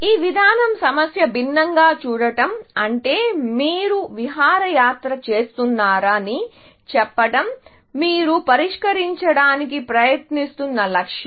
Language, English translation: Telugu, This approach is to view the problem differently, which is to say that you have outing as a; this is the goal that you trying to solve